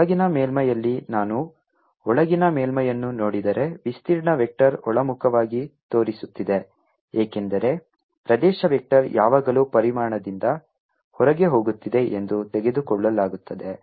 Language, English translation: Kannada, in the inner surface, if i look at the inner surface, the area vector is pointing invert because area vector is always taken to be going out of the volume